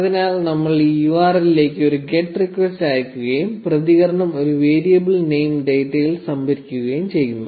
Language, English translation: Malayalam, So, we are just sending a get request to this URL and storing the response in a variable name data